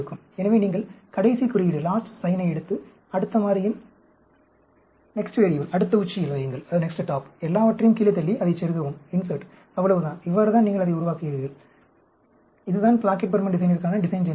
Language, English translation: Tamil, So, you take the last sign and put it in the next top of the next variable, and push everything down, and just insert it, that is it; that is how you make the, that is the design generator for the Plackett Burman design